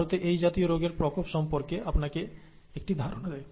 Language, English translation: Bengali, Gives you an idea of the prevalence of such diseases in India